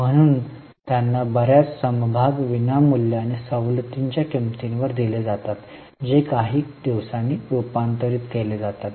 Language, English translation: Marathi, So, they are issued a lot of shares, often free of cost or at a discounted price, which are converted after some days